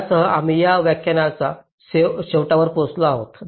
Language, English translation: Marathi, ok, so with this we come to the end of this lecture, thank you